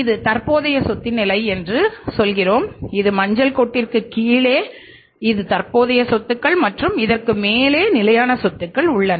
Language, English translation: Tamil, Total this is the level of current assets I would say that it is not below yellow line this is the current assets and above a yellow line this is the fixed assets